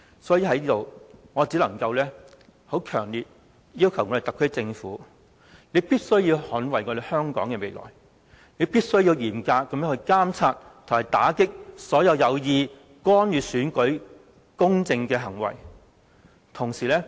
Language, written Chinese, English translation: Cantonese, 所以，我強烈要求特區政府，必須捍衞香港的未來，必須嚴格監察和打擊所有有意干預選舉公正的行為。, Therefore I strongly urge the SAR Government to defend Hong Kongs future . It must strictly monitor the elections and combat any actions that deliberately interfere in the conduct of a fair election